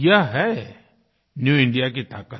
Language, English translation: Hindi, This is the power of New India